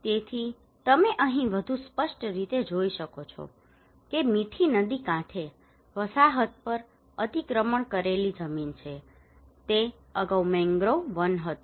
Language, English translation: Gujarati, So you can see here more clearly that is encroached land on the settlement on Mithi riverbank it was earlier a mangrove forest